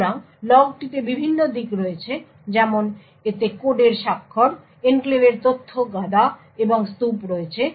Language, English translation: Bengali, So, the log contains the various aspects like it has signatures of the code, data stack and heap in the enclave